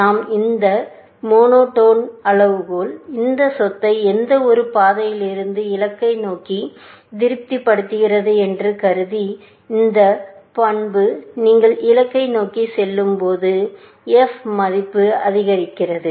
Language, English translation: Tamil, This monotone criteria that we observed, assuming that heuristic function satisfies this property from any path to the goal, this property holds that, as you go closer towards the goal, the f value increases